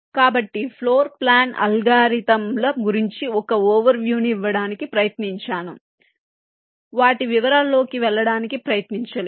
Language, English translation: Telugu, so i just tried to give an overview regarding the possible floor planning algorithms without trying to go into the very details of them